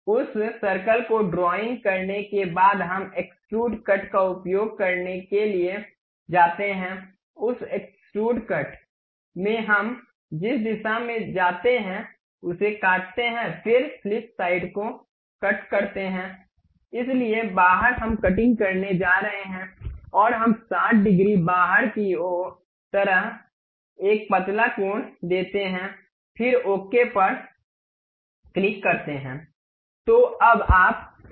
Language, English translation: Hindi, After drawing that circle we go to features use extrude cut, in that extrude cut the direction we pick through all, then flip side to cut, so outside we are going to cut and we give a tapered angle like 60 degrees outwards, then click ok